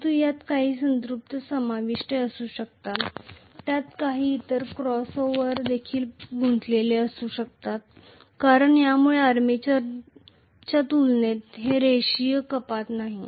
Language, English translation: Marathi, But there may be some saturation involved, there may be some other crossover involved because of which it is not a linear reduction as compared to the armature current been increased